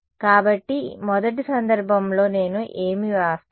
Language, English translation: Telugu, So, the first case, what will I write